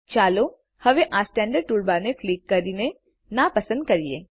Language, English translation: Gujarati, Let us now uncheck the Standard toolbar by clicking on it